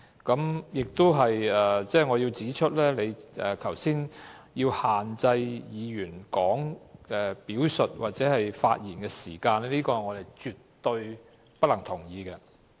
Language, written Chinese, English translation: Cantonese, 我亦想指出，你剛才限制議員表述或發言的時間，我們絕對不能同意。, I also wish to point out that we absolutely cannot agree with your decision to limit the time for Members to express themselves or speak